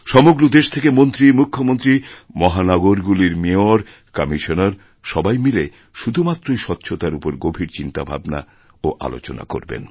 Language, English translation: Bengali, Ministers, Chief Ministers as also Mayors and Commissioners of metropolitan cities will participate in brainstorming sessions on the sole issue of cleanliness